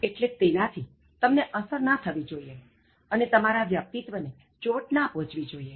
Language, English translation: Gujarati, So, that should not actually affect you and then that should not destroy your personality